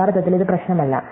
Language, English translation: Malayalam, Actually, it does not matter